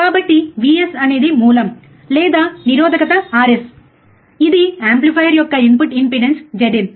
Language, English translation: Telugu, So, V s is the source or resistance is Rs, this is the input impedance of the amplifier Z in